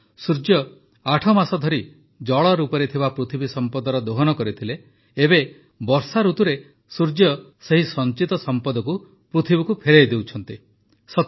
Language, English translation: Odia, That is, the Sun has exploited the earth's wealth in the form of water for eight months, now in the monsoon season, the Sun is returning this accumulated wealth to the earth